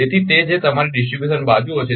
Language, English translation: Gujarati, So, that your distribution sides